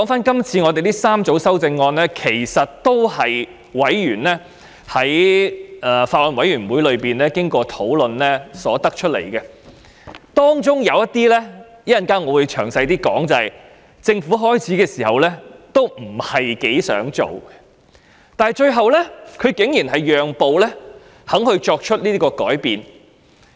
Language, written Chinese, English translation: Cantonese, 這3組修正案其實也是經過法案委員會委員討論而得出的，其中一些修正案——我稍後會再詳談——政府最初不大想處理，但最後竟然讓步作出修正。, These three groups of amendments are actually the outcome of discussion of Bills Committee members . Initially the Government was reluctant to deal with some of the amendments which I will elaborate later but it eventually gave in and proposed the relevant amendments